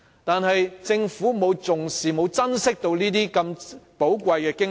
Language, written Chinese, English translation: Cantonese, 但是，政府卻沒有重視和珍惜這些如此寶貴的經驗。, Nevertheless the Government did not regard highly or cherish these invaluable experiences